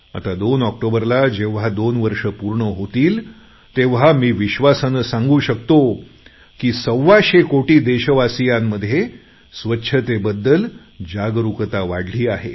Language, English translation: Marathi, Now it is going to be nearly two years on 2nd October and I can confidently say that one hundred and twenty five crore people of the country have now become more aware about cleanliness